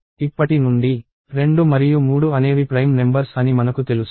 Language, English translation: Telugu, And from now on, we know that 2 and 3 are prime numbers